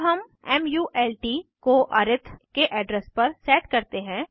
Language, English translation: Hindi, Now, here we set mult to the address of arith